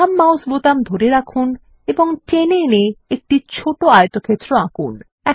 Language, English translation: Bengali, Hold the left mouse button and drag to draw a small rectangle